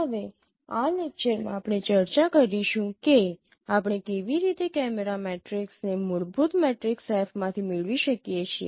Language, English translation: Gujarati, Now in this lecture we will be discussing that how we can retrieve the camera matrices from fundamental matrix F